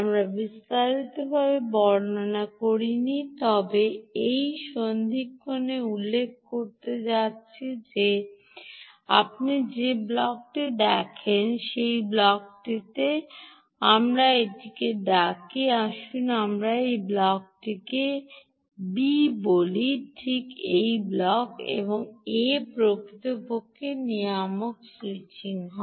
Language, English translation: Bengali, we did not elaborate, but i am going to mention at this juncture that, that block, that you see, this block, let us call this block a, let us call this block b